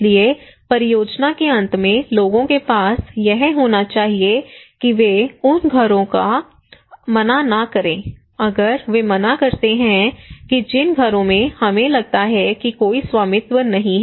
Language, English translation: Hindi, So in the end of the project people should own it they should not refuse that houses, if they refuse that houses we feel that there is no ownership